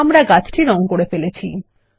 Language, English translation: Bengali, We have colored the tree